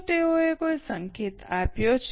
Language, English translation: Gujarati, Have they given any hint